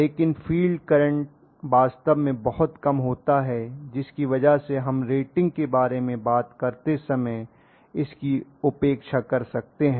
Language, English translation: Hindi, For example, but the field current is going to be really really small because of which we can kind of neglect it when we talk about the rating that is the way we look at it